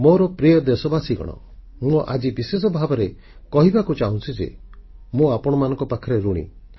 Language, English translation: Odia, My dear countrymen, I want to specially express my indebtedness to you